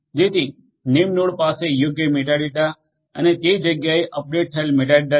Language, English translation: Gujarati, So, that the name node has a proper you know metadata and the updated metadata in place